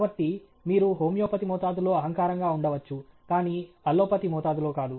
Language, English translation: Telugu, So, you can be arrogant in homeopathic dose, but not in allopathic dose okay